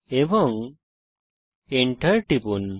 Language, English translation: Bengali, And press enter